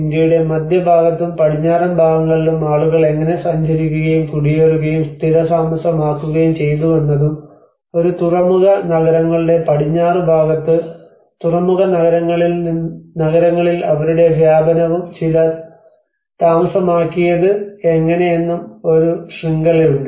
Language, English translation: Malayalam, So, like that there has been a network how people have traveled and migrated and settled in different parts of central and the western part of India and also their expansion in the port cities like you know on the western side of the port cities how they have settled down